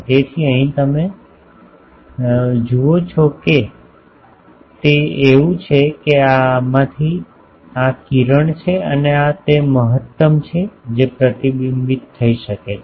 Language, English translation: Gujarati, So, here you see that that it is such that this is this ray from this and this is the maximum that can be reflected